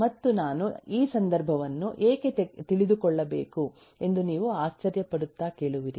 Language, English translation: Kannada, you will ask and you will wonders why i need to know this context